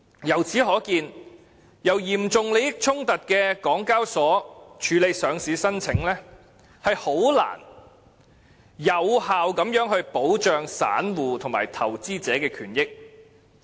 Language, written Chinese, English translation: Cantonese, 由此可見，由有嚴重利益衝突的港交所處理上市申請，很難有效保障散戶及投資者的權益。, It can thus be seen that if HKEx with serious conflict of interests is tasked with handling listing applications it would be very difficult to protect the rights and interests of small investors effectively